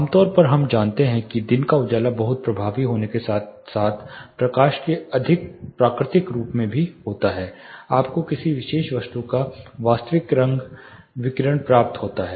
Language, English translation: Hindi, Typically we know that daylight is very effective efficient as well as more realistic form of light, you get the actual color radiation of a particular object